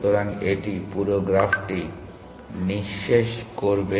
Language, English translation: Bengali, So, it will exhaust the whole graph